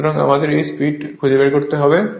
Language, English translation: Bengali, So, we have to find out this speed right